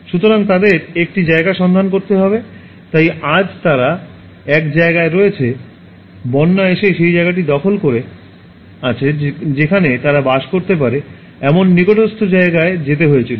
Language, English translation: Bengali, So, they have to find a place, so today they are in one place, flood comes and occupies that place they have to move to the nearby place where they can live